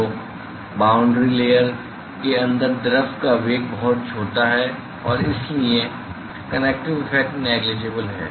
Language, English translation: Hindi, So, the velocity of the fluid inside the boundary layer is very small and therefore, therefore, the convective effect; the convective effects are negligible